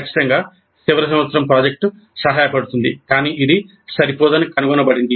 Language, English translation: Telugu, Certainly final project is helpful, but it is found to be inadequate